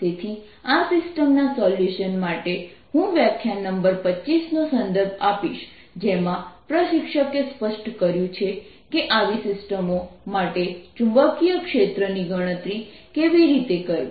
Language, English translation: Gujarati, so that for solving this system, ah, i will refer to lecture number twenty five, in which ah instructor has clearly stated how to calculate the magnetic field for such systems